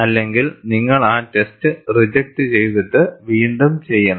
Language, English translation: Malayalam, Otherwise you have to reject the test, and redo the test